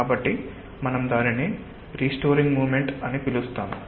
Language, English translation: Telugu, so we call it a restoring moment